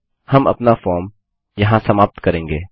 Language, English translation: Hindi, We will end our form here